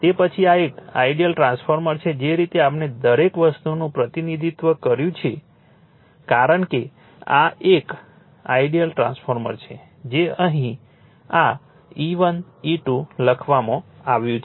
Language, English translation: Gujarati, So, then this is an ideal transformer the way we have represented everything as it this E 1 E 2 this is an ideal transformer that is written here, right